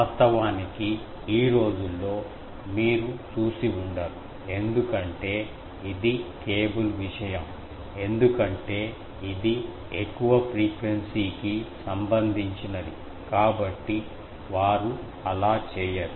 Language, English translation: Telugu, Actually, in the nowadays you do not see because this is a cable thing because that is a more higher frequency things; so, they do not do